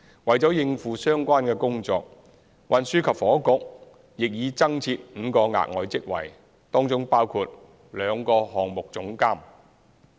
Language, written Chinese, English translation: Cantonese, 為應付相關工作，運輸及房屋局亦已增設5個額外職位，當中包括兩個項目總監。, In order to cope with the relevant work the Transport and Housing Bureau has created five additional posts including two project directors